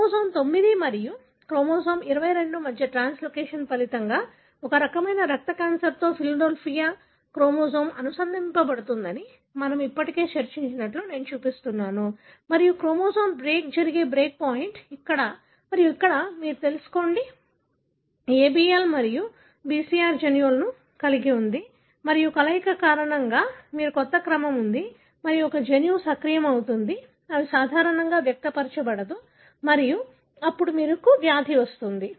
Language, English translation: Telugu, This is something I am showing that we discussed already that is the Philadelphia chromosome associating with a type of blood cancer is resulting from translocation between chromosome 9 and chromosome 22 and we know that the break point where the chromosome break happens, here and here, you know, harbours genes ABL and BCR and because of the fusion, you have a new sequence and one gene gets activated, it would normally should not be expressed and then you have the disease